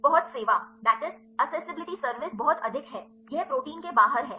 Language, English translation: Hindi, Accessibility service is very high it is outside the protein